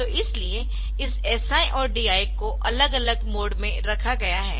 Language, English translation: Hindi, So, that is why they have been put in to separate mode this SI and DI